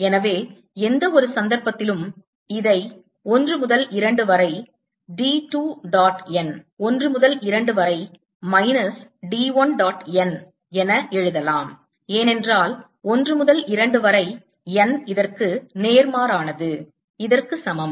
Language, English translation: Tamil, so in any case i can write this also as d two dot m from one to two minus d one dot m from one to two, because n from one to two is opposite of this is equal to